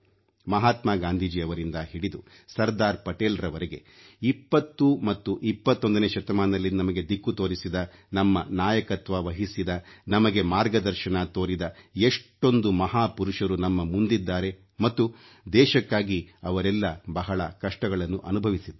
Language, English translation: Kannada, From Mahatma Gandhi to Sardar Patel, there are many great leaders who gave us the direction towards the 20th and 21st century, led us, guided us and faced so many hardships for the country